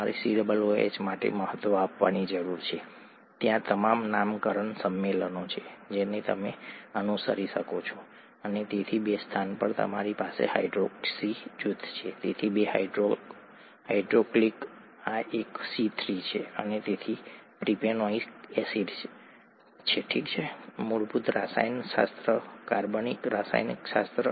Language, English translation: Gujarati, And from the structure you could write this is number one, number two, number three and now you need to give importance for COOH its all the naming conventions that you could follow and so at the two position you have hydroxy group, therefore two hydroxyl, this is a C3, and therefore propanoic acid, okay, basic chemistry, organic chemistry